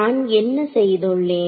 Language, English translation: Tamil, So, what have I done